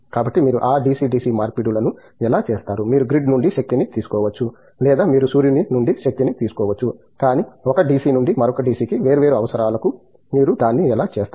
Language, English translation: Telugu, So, how do you do those DC DC conversions from, you could be drawing the power from the grid or you could be drawing power from solar, but, one DC to another DC of different requirement, how do you do that